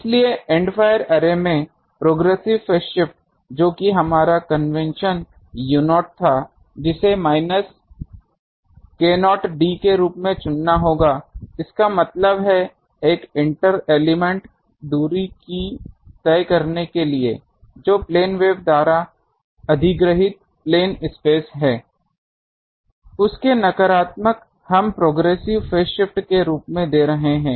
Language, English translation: Hindi, So, in the End fire array, the progressive phase shift which was our it was base convention u not that will have to choose as minus k not d; that means, the to travel an inter element distance, the phase space acquired by a plane wave that we are, negative of that we are giving as the progressive phase shift